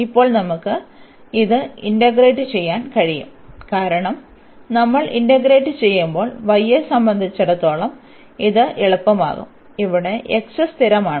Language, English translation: Malayalam, And now we can integrate this because with respect to y when we integrate, this is going to be easier we have this is x is constant